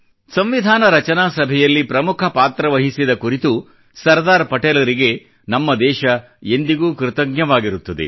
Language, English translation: Kannada, Our country will always be indebted to Sardar Patel for his steller role in the Constituent Assembly